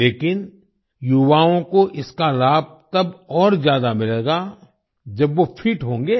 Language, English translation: Hindi, But the youth will benefit more, when they are fit